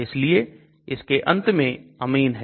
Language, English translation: Hindi, That is why this ending is amine okay